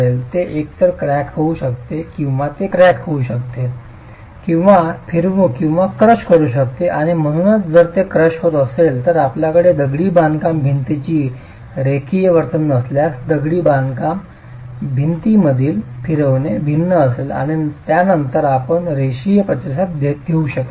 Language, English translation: Marathi, It can either crack or it can crack and rotate or crush and therefore if it is crushing then you have the non linear behavior of the masonry wall, the rotations in the masonry wall will be different and you cannot assume a linear response then